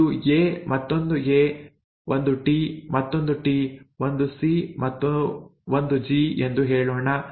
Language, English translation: Kannada, Let us say it has a sequence of an A, another A, a T, another T, say a C and a G